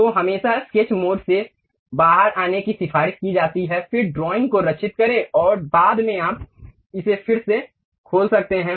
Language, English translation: Hindi, So, it is always recommended to come out of sketch mode, then save the drawing, and later you you you can reopen it